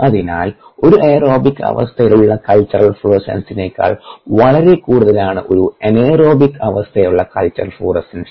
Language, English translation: Malayalam, so the culture florescence at an anaerobic state is much higher than the culture florescence aerobic state, because you will find any d h forming more